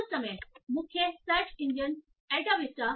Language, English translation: Hindi, So at that time the main search engine was Alta Vista